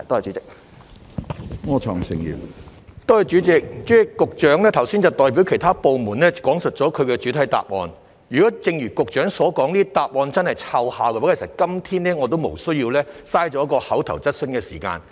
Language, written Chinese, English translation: Cantonese, 主席，局長剛才代表其他部門講述了其主體答覆，如果正如局長所說，這類答覆真的奏效，其實今天我也無須浪費一項口頭質詢的時間。, President the Secretary has just given his main reply on behalf of other departments and if as the Secretary has said a reply of this kind really serves the purpose there would actually have been no need for me to waste the time of an oral question today